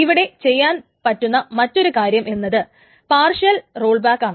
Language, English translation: Malayalam, What can also be done is something called a partial rollback can be done